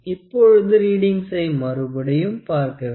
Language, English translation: Tamil, Now, let us see the readings again